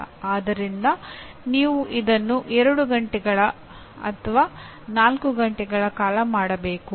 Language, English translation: Kannada, So you have to do it for 2 hours or 4 hours